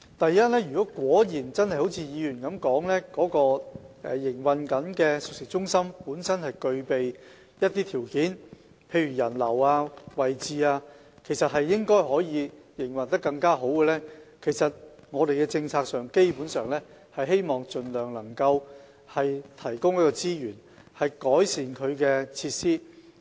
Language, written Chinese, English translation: Cantonese, 第一，如果真的正如議員所說，該熟食中心本身具備一些條件，例如人流和位置，應該可以營運得更好，我們的政策是希望盡量提供資源，以改善其設施。, First if the cooked food centre has some advantages as described by the Member such as passenger flow and location which make more effective operation possible our policy is to try our best to provide resources to improve its facilities